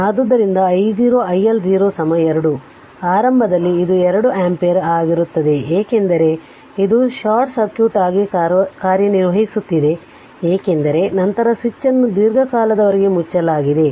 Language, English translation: Kannada, So, i L 0 initially it will be 2 ampere right it will because, it is it is acting as short short circuit because switch was closed for a long time after that it was open